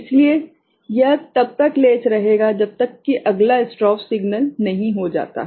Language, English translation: Hindi, So, it will remain latched till the next strobe signal comes ok